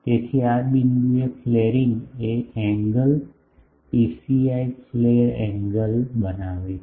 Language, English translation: Gujarati, So, in this point the flaring is making an angle psi the flare angle